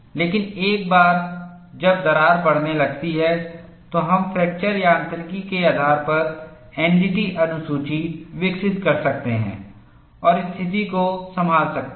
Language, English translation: Hindi, But once the crack starts growing, we could develop NDT shell schedules based on fracture mechanics and handle the situation